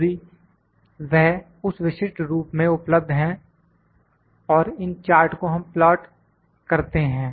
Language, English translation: Hindi, If, it is available in that specific form and plot this charts